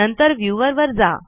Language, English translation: Marathi, Then to viewer